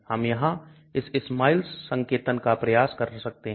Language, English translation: Hindi, We can just try this SMILES notation here